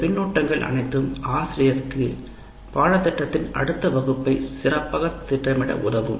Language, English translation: Tamil, And all these feedbacks based on this will act, will facilitate the teacher to plan the next offering of the course much better